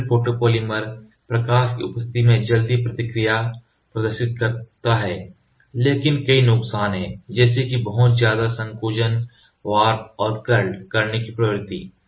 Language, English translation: Hindi, Acrylate photopolymer exhibits high photo speed, but have a number of disadvantages including significant shrinkage and the tendency to warp and curl